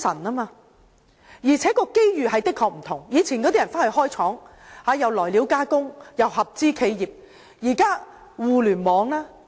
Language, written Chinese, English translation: Cantonese, 大家以往會到內地開設廠房、來料加工和合資企業，但現在有互聯網。, In the past entrepreneurs would set up factories in the Mainland engaging in contract processing and joint ventures . Yet we have the Internet nowadays